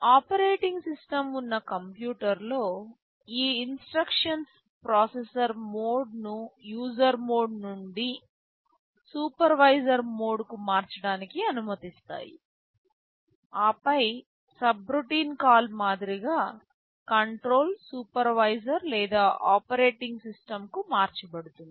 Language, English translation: Telugu, Well in a computer where there is an operating system, these instructions allow the processor mode to be changed from user mode to supervisor mode and then just like a subroutine call control will jump to the supervisor or the operating system